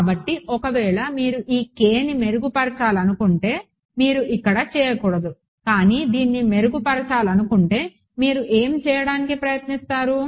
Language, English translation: Telugu, So, let us say if you wanted to improve this k we would not do it here, but what would what would you try to do if wanted to improve this